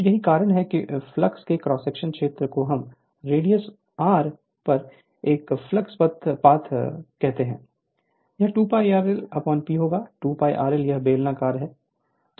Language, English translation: Hindi, So, that is why cross sectional area of flux we call it is a flux path at radius r, it will be 2 pi r l upon P; 2 pi r l is that your so we are assume this is cylindrical